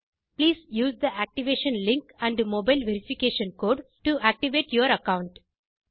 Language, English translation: Tamil, Please use the activation link and mobile verification code to activate your account